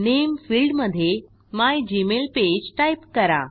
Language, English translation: Marathi, In the Name field, enter mygmailpage